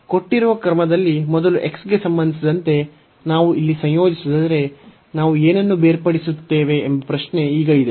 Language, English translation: Kannada, The question is now if we differentiate if we integrate here with respect to x first in the given order, then what will happen